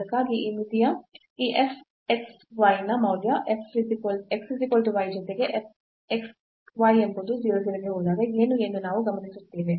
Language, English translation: Kannada, So, for that if we observe that what is the value of this f xy of this limit when x y goes to 0 0 along x is equal to y